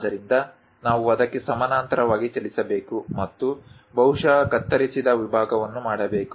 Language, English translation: Kannada, So, we have to move parallel to that and perhaps make a cut section